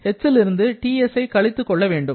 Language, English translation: Tamil, Here, you have to subtract TS from H